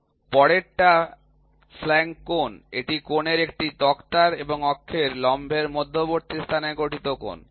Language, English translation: Bengali, Next flank angle, it is the angle formed between a plank of a thread and the perpendicular to the axis